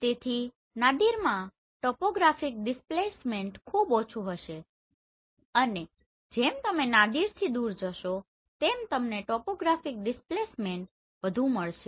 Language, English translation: Gujarati, So topographic displacement will be very less at Nadir as you go away of Nadir you will find more topographic displacement